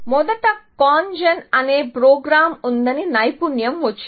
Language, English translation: Telugu, Expertise came in that there was first a program called CONGEN